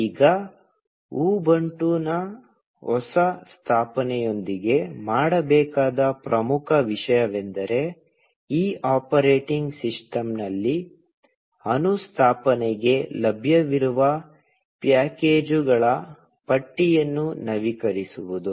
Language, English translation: Kannada, Now, an important thing to do with a fresh installation of Ubuntu is to update the list of packages that are available for installation on this operating system